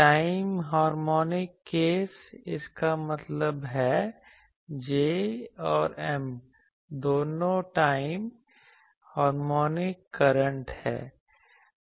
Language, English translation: Hindi, Time harmonic case; that means, both J and M are time harmonic currents